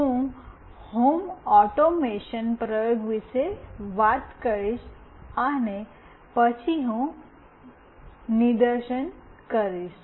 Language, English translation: Gujarati, I will talk about the home automation, the experiment, and then I will demonstrate